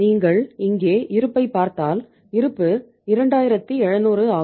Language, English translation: Tamil, And if you look at the balance here the balance is 2700